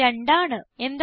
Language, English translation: Malayalam, You will get the result as 2